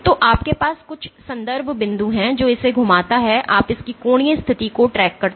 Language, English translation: Hindi, So, you have some reference point which as it rotates you track its angular position